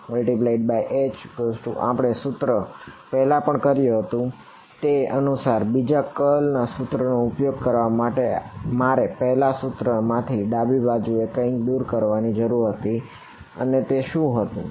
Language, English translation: Gujarati, So, del cross H we have done this before in order to use the other curl equation I needed to remove something from the right hand side of the first equation and that was a